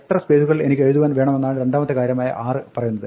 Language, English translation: Malayalam, And the second thing is that it says this 6 tells me how much space I have to write whatever I have to write